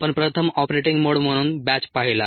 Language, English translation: Marathi, we first saw batch as the ah operating mode